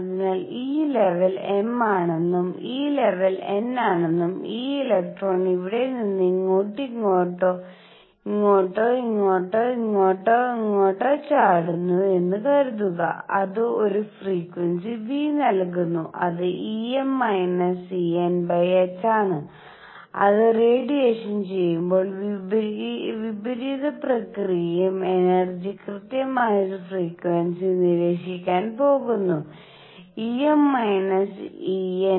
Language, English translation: Malayalam, So, suppose this level is m, this level is n and this electron jumps from here to here or here to here or here to here, it gives a frequency nu which is E m minus E n over h and the reverse process when it absorbs energy exactly same frequency is going to be observed E m minus E n over h